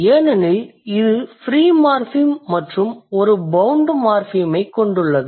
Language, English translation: Tamil, There is only one morphem and that is a free morphem